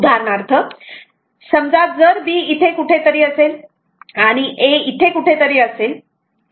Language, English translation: Marathi, For example, suppose if B is somewhere here, and A is somewhere here